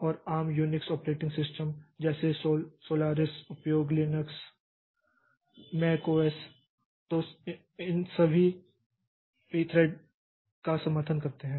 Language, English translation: Hindi, And common unique operating systems like Solaris Linux, Mac OSX, all of them support this P thread